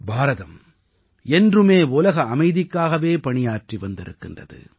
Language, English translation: Tamil, India has always strove for world peace